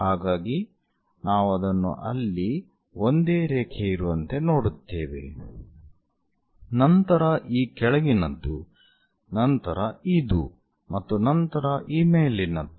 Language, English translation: Kannada, So, we see it like one single line there; this bottom one, this one and this top one